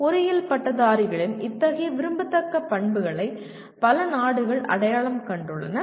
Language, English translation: Tamil, Many countries have identified such desirable characteristics of engineering graduates